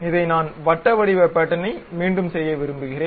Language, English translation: Tamil, This one I would like to repeat it in a circular pattern